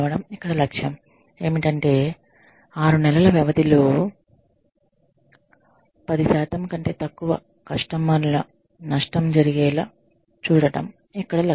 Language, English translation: Telugu, Less, the target here is, to ensure that, less than 10% loss of customers occurs in six month